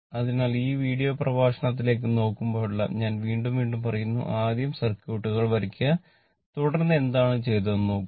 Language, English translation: Malayalam, So, whenever you I tell again and again whenever look in to this video lecture first you draw the circuits, then you look what has been done